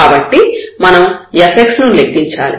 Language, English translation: Telugu, So, we need to compute the fx